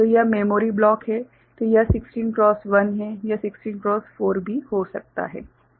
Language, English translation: Hindi, So, this is the memory say block so, say it is a 16 cross 1, it could be 16 cross 4 also ok